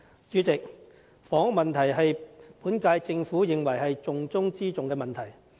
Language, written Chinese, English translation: Cantonese, 主席，房屋問題被本屆政府認為是重中之重的問題。, President the housing issue is considered by the current - term Government as the top priority